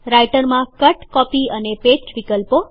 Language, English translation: Gujarati, Cut, Copy and Paste options in Writer